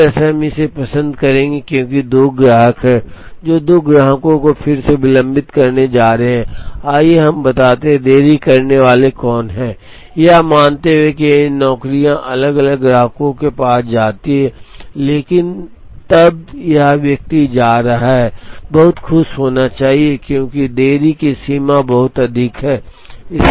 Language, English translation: Hindi, In a way, we would prefer, this because there are two customers, who are going to be delayed again two customers, let us say who are going to be delayed assuming that, these jobs go to different customers, but then this person is going to be extremely happy, because the extent of delay is very, very high